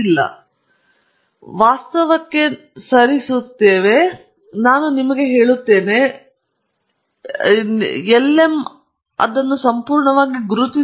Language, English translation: Kannada, So, we move now to reality, am just showing you, that if you had everything in hand, the lm will perfectly identified that for you